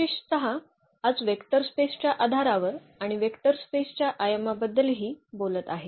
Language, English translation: Marathi, In particular today will be talking about the basis of a vector space and also the dimension of a vector space